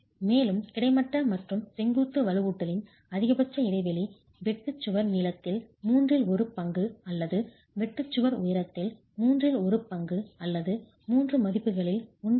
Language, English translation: Tamil, Also the maximum spacing of horizontal and vertical reinforcement should be the lesser of the shear wall length or one third of the shear wall height or 1